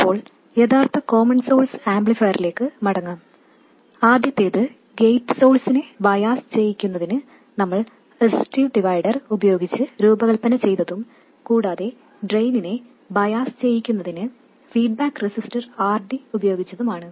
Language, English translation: Malayalam, Now let's go back to the original common source amplifier, the first one that we designed with a resistive divider to bias the gate source and drain feedback resistor, RD to bias the drain